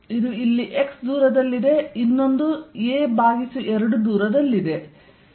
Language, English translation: Kannada, This is here a distance x, this is at a distance a by 2